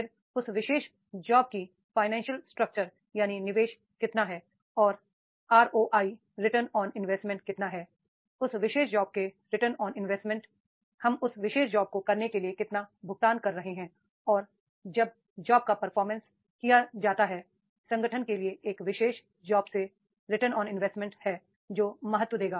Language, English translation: Hindi, Then financial structure of that particular job, that is the how much the investment is there and how much is the ROI return on investment of that particular job, how much we are paying to do that particular job and when the job is performed what is the return to the organization by that particular job that will give importance